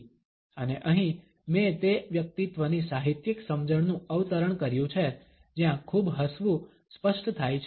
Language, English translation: Gujarati, And here I have quoted from to literary understandings of those personalities where too much of a smiling is manifested